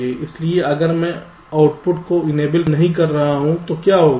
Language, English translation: Hindi, so if i am not enabling the output, then what will happen